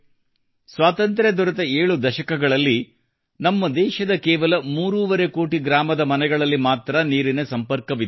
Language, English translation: Kannada, In the 7 decades after independence, only three and a half crore rural homes of our country had water connections